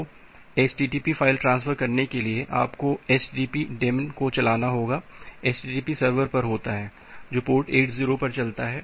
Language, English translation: Hindi, So, http file transfer for that you have to run http daemon which at the http server which runs at port 80